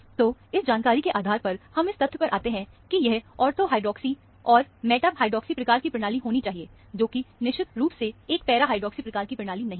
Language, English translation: Hindi, So, based on this information, we can arrive at the fact that, this has to be a ortho hydroxy, or a meta hydroxy kind of a system; definitely not a para hydroxy kind of a system